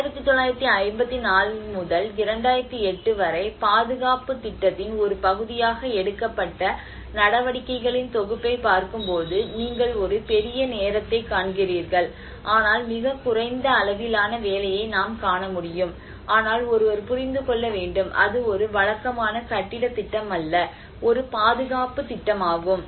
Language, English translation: Tamil, So, but then when you look at the set of activities which has been taken as a part of the conservation plan from 1954 to 2008 you see a huge span of time but then a very limited work what we can see but then one has to understand, it is not a regular building project, it is a conservation project